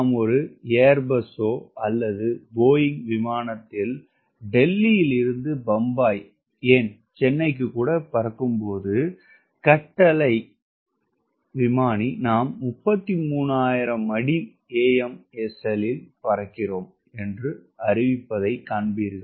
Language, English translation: Tamil, when you are flying in any such air bus or boeing aircraft from delhi to bombay in chennai, you will find that the paramedic command will announce: we are flying at thirty three thousand feet, right